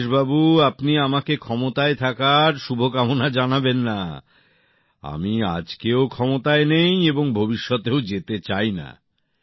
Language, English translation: Bengali, Rajesh ji, don't wish me for being in power, I am not in power even today and I don't want to be in power in future also